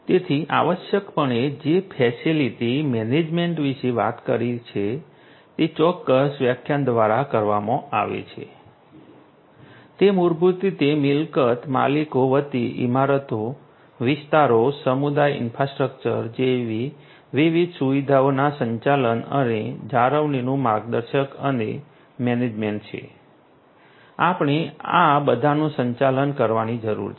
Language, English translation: Gujarati, So, essentially what facility management talks about is captured through this particular definition, it is basically the guiding and managing of the operations and maintenance of different facilities such as buildings, precincts, community infrastructure on behalf of property owners we need to manage all of these